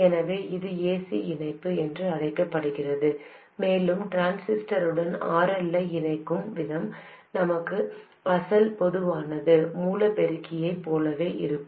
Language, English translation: Tamil, So, this is known as AC coupling and the way we connect RL to the transistor is exactly the same as our original common source amplifier we connected through a capacitor